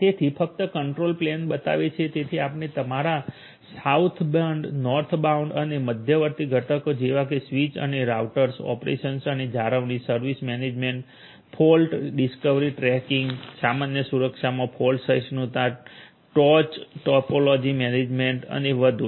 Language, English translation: Gujarati, It shows only the control plane so, you are going to have all of these different components including your Southbound SBI, North bound NBI and intermediate components such as switches and routers, operations and maintenance, service management, fault discovery tracking, fault tolerance in general security issues top topology management and so on